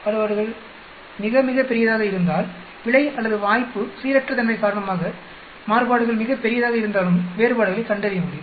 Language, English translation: Tamil, If the variations are very, very large, even if the variations because of error or chance random is very large will be able to find differences